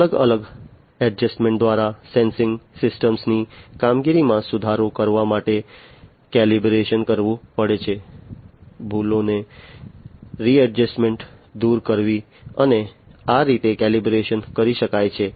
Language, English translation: Gujarati, Calibration has to be done in order to improve the performance of a sensing system through different adjustment, readjustment removal of errors, and so on this calibration can be done